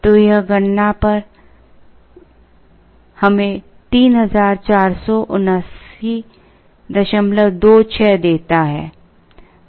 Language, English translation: Hindi, So this on computation gives us 3479